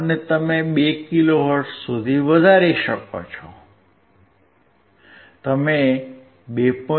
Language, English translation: Gujarati, And you can increase to 2 kilo hertz; you increase to 2